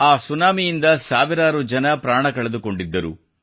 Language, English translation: Kannada, Thousands of people had lost their lives to this tsunami